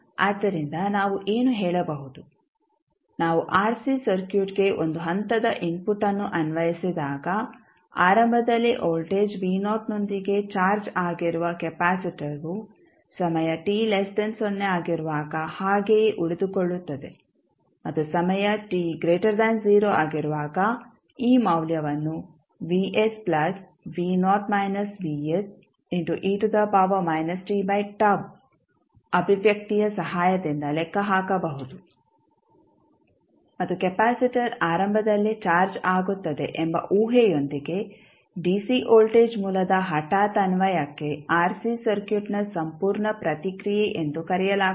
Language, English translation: Kannada, So, what we can say; that when we apply a step input to the rc circuit the capacitor which was initially charged with voltage v naught will remain same when time t less than 0 and when time t greater than 0 this value will be can be calculated with the help of this expression that is vs plus v naught minus vs into e to the power minus t by tau and this is known as the complete response of the rc circuit towards the sudden application of dc voltage source with the assumption that capacitor is initially charged